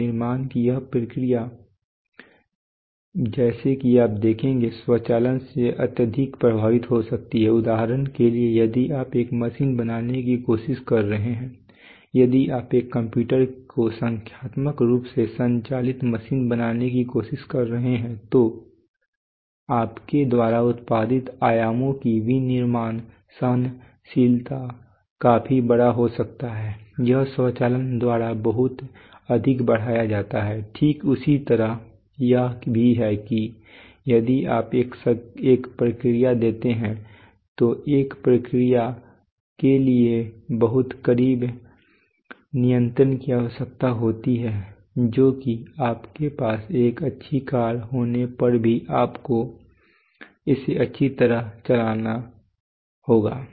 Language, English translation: Hindi, Now this process of manufacturing as you will see is is can be highly affected by automation for example if you are trying to make a machine if you are trying to make a computer numerically operated machine then the then the manufacturing tolerances of dimensions that you can produce can be significantly larger this is very much enhanced by automation right, similarly it is also even if you give a have a process a process requires very close control that is you have to have to even if you have a good car you have to drive it well